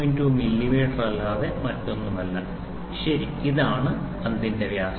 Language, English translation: Malayalam, 2 millimeter, ok so, this is the diameter of the ball